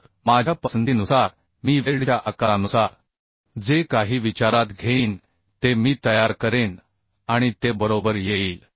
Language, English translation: Marathi, So according to my choice I will design whatever I will consider according to that size of the weld will be calculated and it will come right